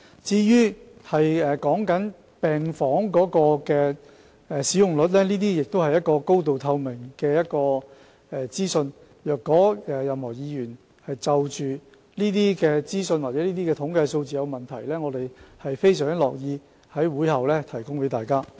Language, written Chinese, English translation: Cantonese, 至於病房使用率方面，這些是高度透明的資訊，如果任何議員就着有關資訊或統計數字有疑問，我們相當樂意在會後向大家提供資料。, As for the occupancy rate of medical wards the information in this respect is highly transparent . If any Member should have any doubts about the relevant information or statistics we are more than willing to provide such information to Members after the meeting